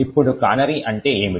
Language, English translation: Telugu, Now what is a canary